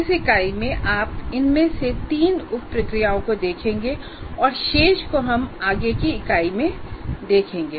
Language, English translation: Hindi, And in this particular unit we will be particularly looking at three of the sub processes and the remaining ones we will look at in the following unit